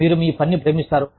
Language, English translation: Telugu, You love your work